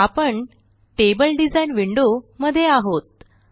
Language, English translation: Marathi, Now we are in the table design window